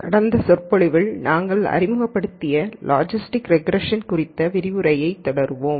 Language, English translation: Tamil, We will continue our lecture on Logistic Regression that we introduced in the last lecture